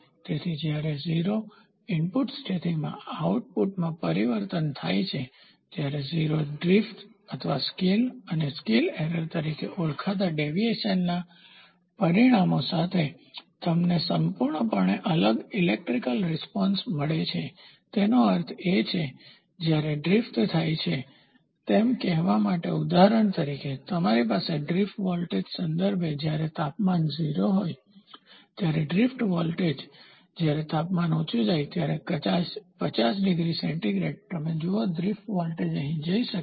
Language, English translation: Gujarati, So, you completely get a different electrical response with results in a deviation known as 0 drift or scale and scale error when the change occurs in the output at the no input condition; that means, to say at a as the drift happens say for example, temperature then with respect to drift voltage when the temperature is 0 the drift voltage when the temperature goes high maybe 50 degree Celsius, you see the drift voltage might go here